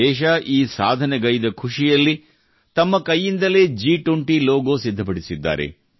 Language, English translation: Kannada, Amid the joy of this achievement of the country, he has prepared this logo of G20 with his own hands